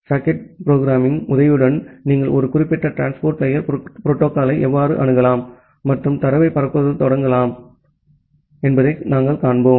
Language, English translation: Tamil, We will see that with the help of the socket programming, how you can access a specific transport layer protocol and you can start transmission of data